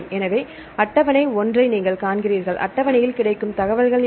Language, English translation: Tamil, So, you see the table 1, what are the information available in table 1